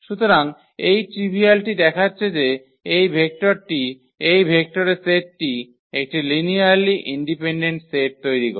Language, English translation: Bengali, So, this trivial to see that this vector this set of vectors form a linearly independent set